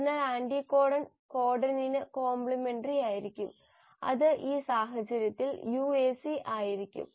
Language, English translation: Malayalam, So the anticodon will be complimentary to the codon, which will, in this case will be UAC